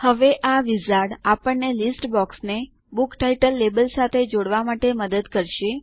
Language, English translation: Gujarati, Now, this wizard will help us connect the list box to the Book title label